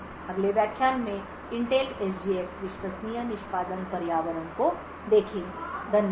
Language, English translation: Hindi, In the next lecture will look at the Intel SGX trusted execution environment, thank you